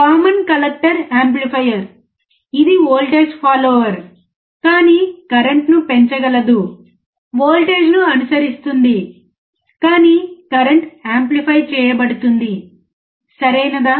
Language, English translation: Telugu, Common collector amplifier, right, it is a voltage follower, but can increase the current is follows a voltage, but current is amplified, right